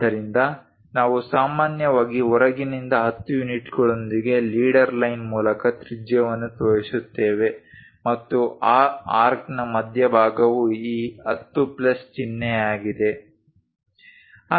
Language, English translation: Kannada, So, we usually show that radius from outside through leader line with 10 units and center of that arc is this 10 plus sign